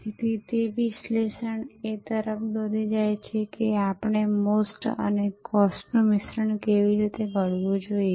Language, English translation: Gujarati, So, that analysis will lead to how we should formulate the mix of MOST and COST